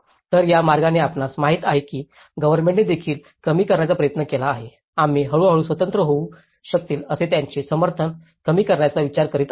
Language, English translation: Marathi, So, in that way you know, the government also try to reduce, we are planning to reduce their supports that they can slowly become independent